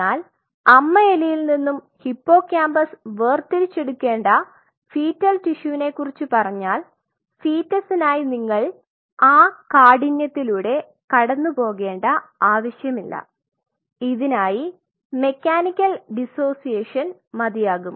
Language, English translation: Malayalam, But when we talk about the fetal tissue to isolate hippocampus from mother mice or rats like for the fetus you will really do not need to go through this whole rigor or go through this whole you really can do it mechanical dissociation